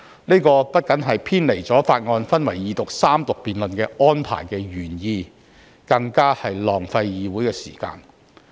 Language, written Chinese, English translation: Cantonese, 這不僅偏離法案分為二讀辯論及三讀安排的原意，更浪費議會的時間。, This is not only a departure from the original intent of separating the procedure into Second Reading debate and Third Reading debate of the bill but also a waste of time of the Council